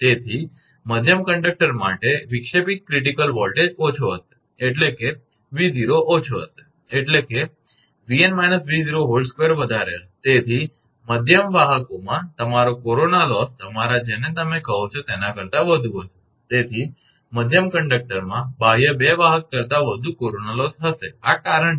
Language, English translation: Gujarati, Therefore, the disruptive critical voltage for middle conductor will be less, that is V 0 will be less, that means, V n minus V 0 square will be higher; therefore, the middle conductors your corona loss will be higher than the your what you call your hence there will be more corona loss in middle conductor than the outer 2 conductor, this is the reason